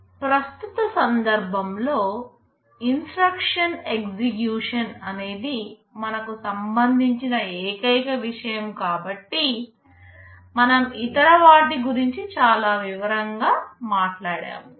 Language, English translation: Telugu, But in the present context, since instruction execution is the only thing we are concerned about, we shall not be going to too much detail about the other ones